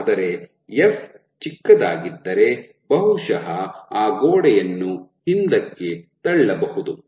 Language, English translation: Kannada, But if f is small then probably that wall can be pushed back